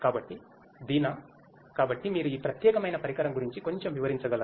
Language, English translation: Telugu, So, Deena, so could you explain little bit further about this particular instrument